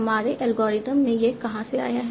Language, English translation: Hindi, In our algorithm, where did it come from